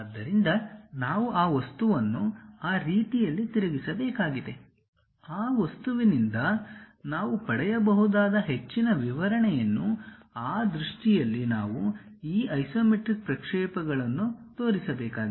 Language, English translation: Kannada, So, we have to rotate that object in such a way that, most description whatever we can get from that object; in that view we have to show these isometric projections